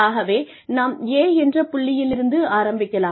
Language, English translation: Tamil, So, we start from point A